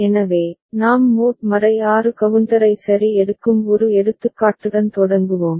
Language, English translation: Tamil, So, we start with an example where we are taking mod 6 counter ok